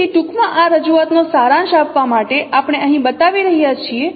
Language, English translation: Gujarati, So to summarize this representation once again in a brief form we are showing here